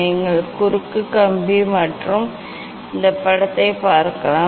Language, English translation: Tamil, you can see the cross wire and this image